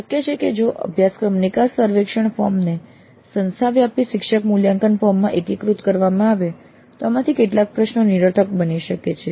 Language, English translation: Gujarati, Now it is possible that if the course exit survey form is getting integrated into an institute wide faculty evaluation form, some of these questions may become redundant